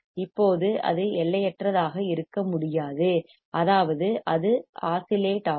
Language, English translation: Tamil, Now, it cannot be infinite; that means, it will start oscillating